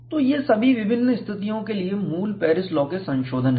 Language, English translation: Hindi, So, these are all the modifications of the basic Paris law for different situations